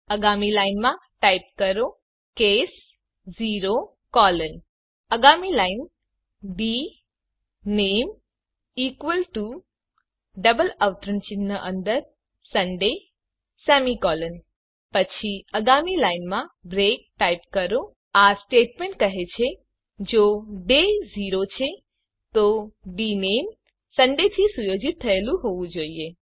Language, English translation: Gujarati, Next line type case 0 colon Next line dName equal to within double quotes Sunday semicolon Then type Next linebreak This statement says that if the day is 0, then dName must be set to Sunday